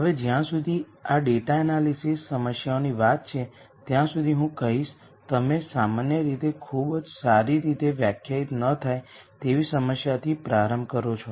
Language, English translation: Gujarati, Now, in many cases as far as this data analysis problems are concerned typically you start with a very not well defined problem I would say